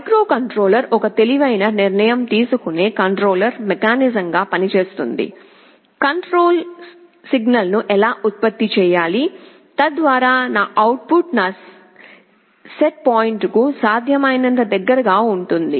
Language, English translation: Telugu, There is a microcontroller will be acting as the controller mechanism that will take an intelligent decision, how to generate the control signal so that my output is as close as possible to my set point